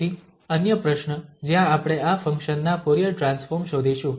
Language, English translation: Gujarati, So, another problem where we will look for the Fourier Transform of this function